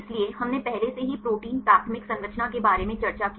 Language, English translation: Hindi, So, we already discussed about the protein primary structure